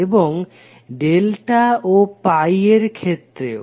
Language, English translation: Bengali, And for delta and pi also